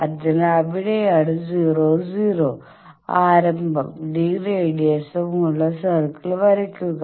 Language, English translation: Malayalam, So, that is where draw a circle of radius d with origin at 00